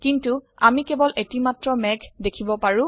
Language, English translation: Assamese, But we can see only one cloud